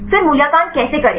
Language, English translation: Hindi, Then how to evaluate